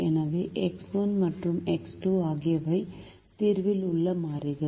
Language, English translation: Tamil, so x one and x two are the variables in the solution